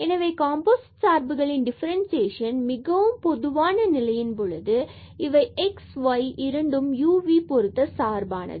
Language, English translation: Tamil, So, the differentiation of the composite functions when we have this more general case that x and y they also depend on u and v a functions of 2 variables